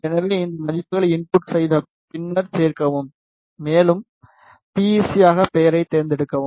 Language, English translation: Tamil, So, just enter these values and then add, and select the material as PEC